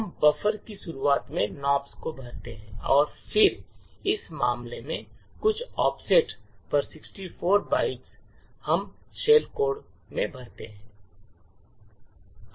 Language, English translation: Hindi, We fill in Nops starting at in the beginning of the buffer and then at some offset in this case 64 bytes we fill in the shell code